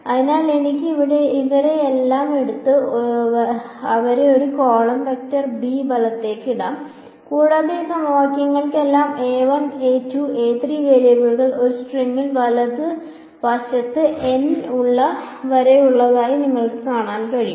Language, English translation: Malayalam, So, I can take all of these guys and put them into a column vector b right and you can see that all of these equations have the variables a 1, a 2, a 3 all the way up to a n in one string right